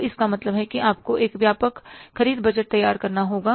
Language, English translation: Hindi, So, it means you have to prepare a comprehensive purchase budget